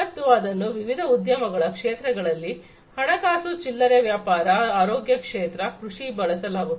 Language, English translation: Kannada, And, this thing can be used in different industry sectors, finance, retail, healthcare, agriculture